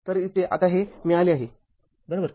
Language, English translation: Marathi, So, here now this is this is come out right